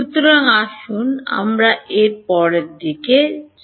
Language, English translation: Bengali, So, let us let us come to that next